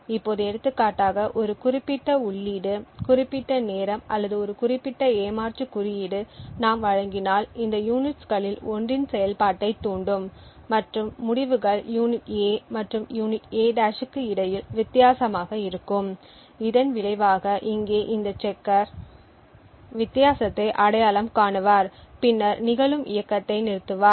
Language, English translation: Tamil, Now if for example we provide a specific input specific time or a specific cheat code which triggers a functionality in one of this units then the results would be different between unit A and unit A’ and as a result this checker over here would identify the difference and then stop the execution form occurring